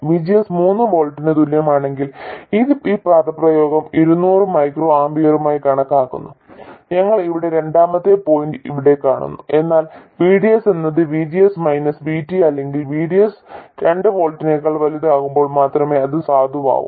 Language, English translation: Malayalam, So, this is the point for VGS equals 4 volts and that will be 450 microamper there, but of course it is valid only for VDS more than VGS minus VT or vds more than 3 volts